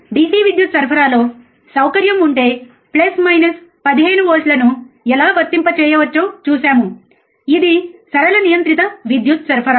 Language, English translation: Telugu, And how we can apply plus minus 15 volts if there is a facility within the DC power supply, it was a linear regulated power supply